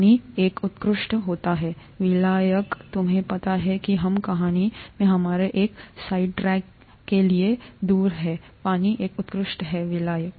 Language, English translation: Hindi, Water happens to be an excellent solvent, you know we are off to one of our side tracks in the story, water is an excellent solvent